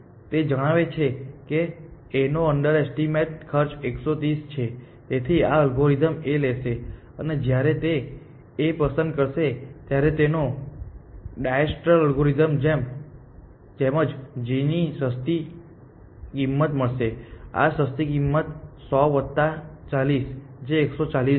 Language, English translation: Gujarati, So, this algorithm will pick A, and when it picks A it will find a cheaper cost to g exactly like diastral algorithm would have done, and this cheaper cost is the cost of 100 plus 40 which is 140